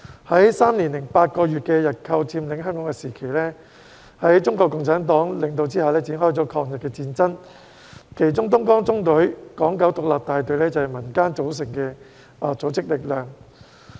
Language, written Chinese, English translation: Cantonese, 在3年8個月的日寇佔領香港時期，在中國共產黨的領導下展開了抗日戰爭，其中東江縱隊港九獨立大隊是由民間組成的組織力量。, During the three years and eight months of Japanese occupation of Hong Kong the war against Japan was launched under the leadership of the Communist Party of China CPC . Among others the Hong Kong Independent Battalion of the Dongjiang Column was an organized force in the community